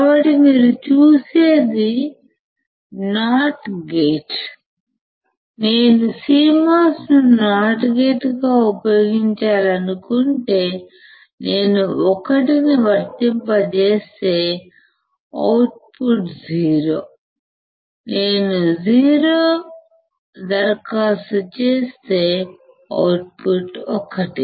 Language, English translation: Telugu, So, if you see is as not gate, if I want to use CMOS as a not gate , not gate is w if I apply 1 my output is 0 if I apply 0 my output is 1 right